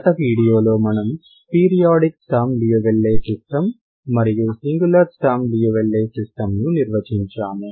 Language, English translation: Telugu, In the last video we have defined periodic Sturm Liouville system and singular Sturm Liouville system